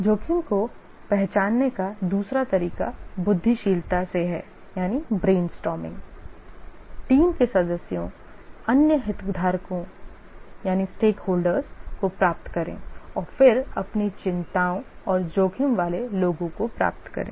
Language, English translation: Hindi, The second way the risk can be identified is by brainstorming, get the team members, other stakeholders, and then get their concerns and those are the risks